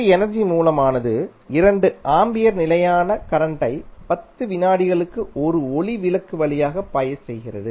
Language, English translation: Tamil, An energy source forces a constant current of 2 ampere for 10 seconds to flow through a light bulb